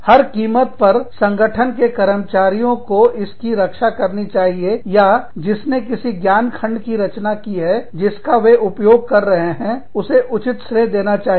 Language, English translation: Hindi, At all costs, must the employees of the organization, protect the, or, give due credit to anyone, who has created, some piece of knowledge, that they end up using